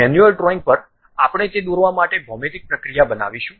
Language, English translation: Gujarati, At manual drawing, we are going to construct a geometric procedure to draw that